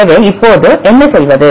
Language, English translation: Tamil, So, what to do